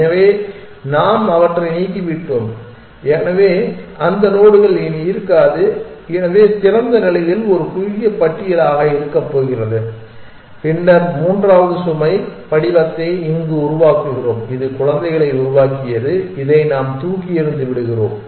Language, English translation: Tamil, So, in effect we have deleted them, so those nodes no longer exist, so open as we can see is going to be a shorter list then we generate the third load form here generated children and we throw away this